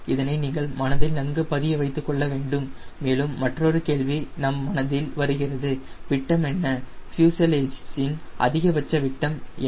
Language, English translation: Tamil, and also another question you come to your mind: what is the diameter, maximum diameter of the fuselage